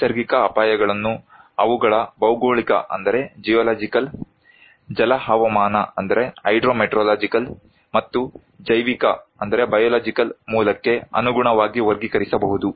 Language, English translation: Kannada, Natural hazards can be classified according to their geological, hydro meteorological and biological origin